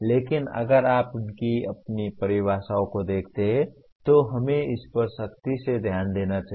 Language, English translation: Hindi, But if you look at by their own definitions, let us strictly go through this